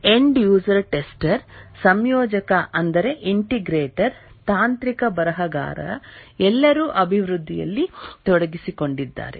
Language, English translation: Kannada, The end user, the tester, integrator, technical writer, all are involved in the development